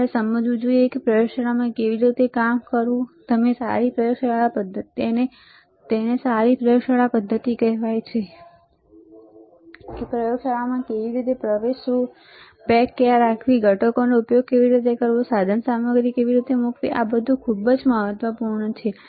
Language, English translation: Gujarati, You should understand how to work in a laboratory, and that is called good laboratory practices how to enter the lab, where to keep the bag, how to use the components, how to place the equipment, that is how it is very important all, right